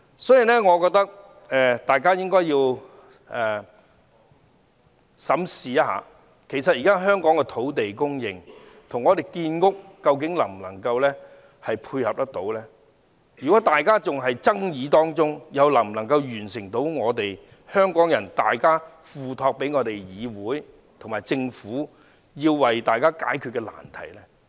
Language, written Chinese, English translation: Cantonese, 所以，我覺得大家應該審視一下，香港現時的土地供應究竟能否配合建屋目標，如果大家還在爭議，又能否解決香港人付託議會及政府的難題呢？, I thus hold that we should examine whether the present land supply can tie in with the housing supply targets . Can we solve the problem that Hong Kong people have entrusted this Council and the Government by our ongoing argument? . I am afraid we cannot